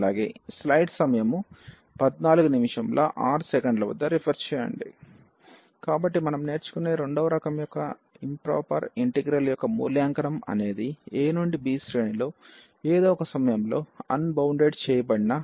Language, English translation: Telugu, So, the evaluation of the improper integral of the second kind we will learn are the integral of the kind a to b f x dx where f x is unbounded at some point in the range a to b